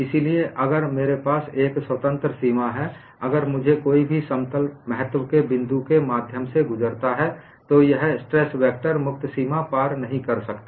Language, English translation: Hindi, So, if I have a free boundary, if I find in any one of the planes passing through the point of interest, the stress vector, that direction cannot cross a free boundary